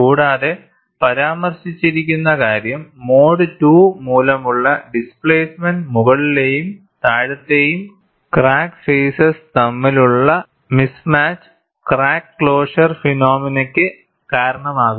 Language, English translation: Malayalam, And what is mentioned is, the displacement due to mode 2, can cause mismatch between upper and lower crack faces, contributing to crack closure phenomena